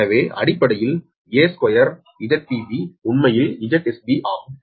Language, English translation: Tamil, so basically, a square, z p b is actually z s right